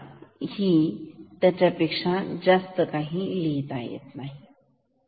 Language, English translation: Marathi, So, I may also write a few more words